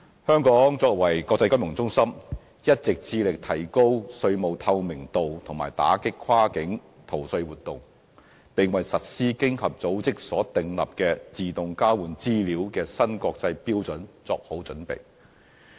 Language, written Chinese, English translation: Cantonese, 香港作為國際金融中心，一直致力提高稅務透明度和打擊跨境逃稅活動，並為實施經濟合作與發展組織就稅務事宜自動交換財務帳戶資料所訂立的新國際標準作好準備。, As an international financial centre Hong Kong is always committed to enhancing tax transparency and combating cross - border tax evasion and has been preparing the ground for implementing the new international standard for AEOI set by the Organisation for Economic Co - operation and Development OECD